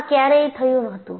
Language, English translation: Gujarati, And where this happened